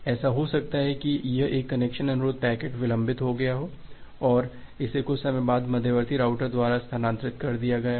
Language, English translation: Hindi, It may happen that this particular connection request packet got delayed and it was transferred by the intermediate router after sometime